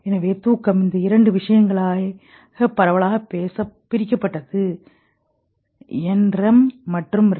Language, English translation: Tamil, So sleep was broadly divided into these two things, NREM and REM